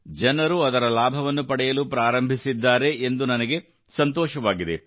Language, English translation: Kannada, I am glad that people have started taking advantage of it